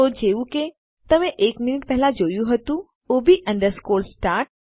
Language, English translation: Gujarati, So as you saw a minute ago that is ob underscore start